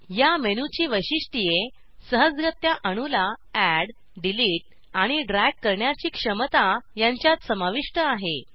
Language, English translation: Marathi, Features of this menu include ability to * Easily add, delete, drag atoms